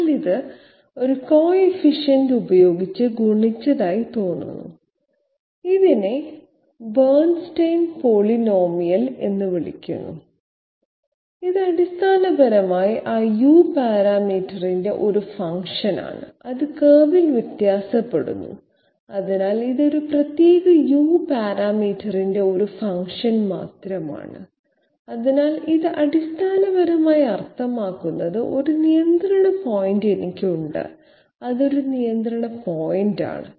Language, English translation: Malayalam, But it seems to be multiplied with a coefficient, is called a Bernstein polynomial and it is basically a function of that U parameter which was varying along the curve, so it is simply a a what you call it a function of this particular U parameter, so it basically means I have a control point, this is one control point for example